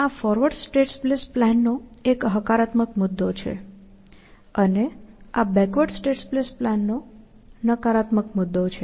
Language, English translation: Gujarati, So, this was a plus point of forward state space planning, and this was corresponding negative point of backward state space planning